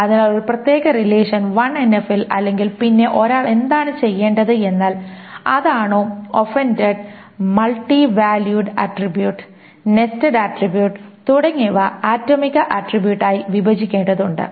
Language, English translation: Malayalam, So if a particular relation is not in 1NF, then what one needs to be done is that offending attribute, the multivalued attribute, the nested attribute, needs to be broken down into atomic attributes